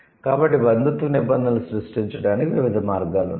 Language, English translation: Telugu, So, there are different ways by which the kinship terms are created